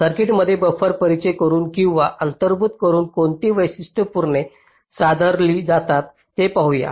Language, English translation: Marathi, lets see what are the characteristics that get improved by introducing or inserting buffers in the circuit